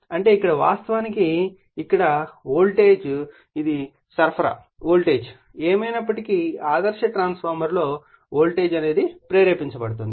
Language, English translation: Telugu, That means, here a actually here a volt this is supply voltage anyway for the ideal transformer a voltage will be induced